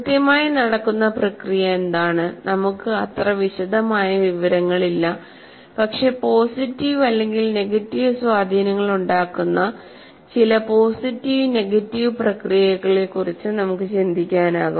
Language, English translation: Malayalam, We do not have that amount of detail, but we can think of some positive and negative processes that are processes that have either positive or negative influences